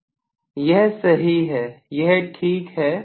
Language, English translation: Hindi, This is right, this is fine